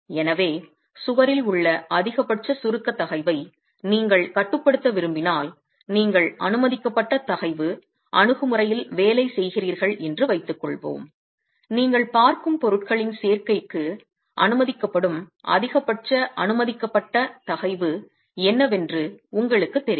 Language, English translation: Tamil, So if you want to limit the maximum compressive stress in the wall, let's say you're working within a permissible stress approach, then you know what is the maximum permissible stress that is allowed in the, for the combination of materials that you're looking at